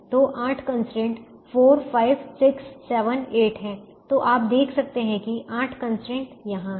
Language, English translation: Hindi, so there are eight constrains: four, five, six, seven, eight, and you can see that there are eight constrains here